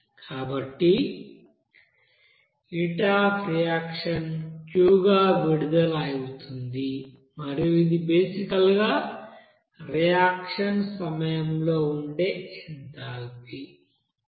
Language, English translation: Telugu, So that heat of reaction will be released as Q and that is basically the change of you know enthalpy during that reaction